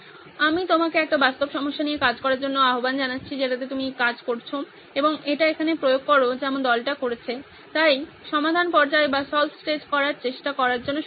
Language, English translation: Bengali, I urge you to work on a real problem that you are working on and apply this as the team here did, so good luck with trying out solve stage